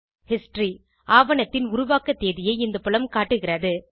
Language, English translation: Tamil, History – This field shows the Creation date of the document